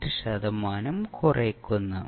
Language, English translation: Malayalam, 8 percent of its previous value